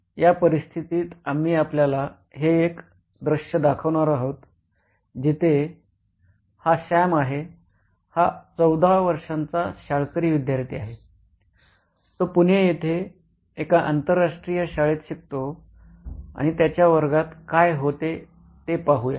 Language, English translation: Marathi, So in this situation what we are going to show you as a scene where this is Sam, a 14 year old school going student, he studies in an international school in Pune, India and let us see what happens in a classroom